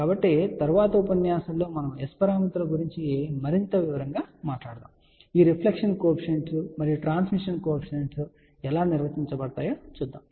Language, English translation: Telugu, So, in the next lecture we are going to talk in more detail about S parameters, how these reflection coefficients and transmission coefficients are define